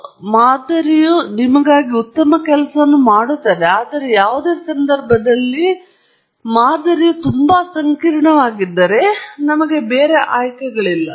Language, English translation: Kannada, So, the model will do a good job for you, but in any case, if the model is too complex, then, there is no other choice for us